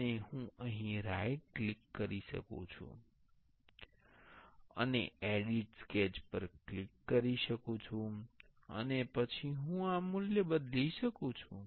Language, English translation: Gujarati, And I can right click here and click edit sketch, and then I can change this value